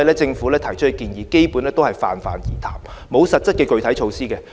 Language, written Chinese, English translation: Cantonese, 政府提出的建議基本上是泛泛而談，沒有實質的具體措施。, The Governments recommendations are basically empty words without the support of concrete measures